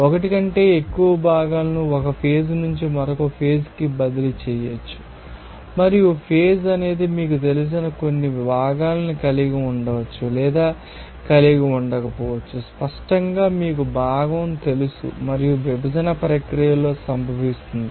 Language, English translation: Telugu, More than 1 component can be transferred from 1 phase to another they are, and is phase may or may not contain some you know that obviously you know component and occurs in separation processes